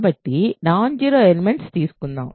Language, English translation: Telugu, So, let us take a non zero element